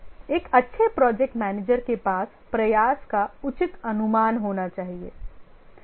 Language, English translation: Hindi, A good project manager should have reasonable estimate of the effort